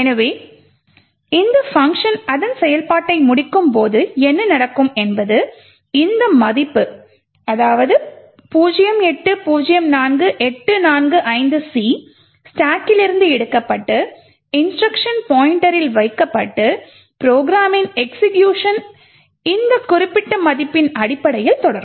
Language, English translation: Tamil, So, essentially what would happen when this function completes execution is that this value 0804845C gets taken from the stack and placed into the instruction pointer and execution of the program will continue based on this particular value